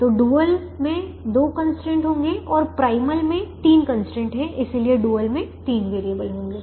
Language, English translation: Hindi, so the dual will have two constraints and the primal has three constraints